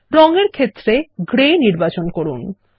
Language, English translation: Bengali, In the Color field, select Gray